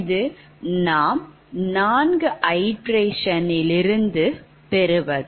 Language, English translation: Tamil, so this is the answer after fourth iteration